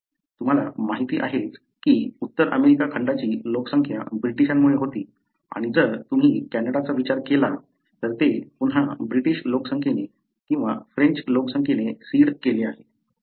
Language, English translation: Marathi, As you know, the North American continent, was populated bythe British and if you consider Canada, again these are seeded by either the British population or the French population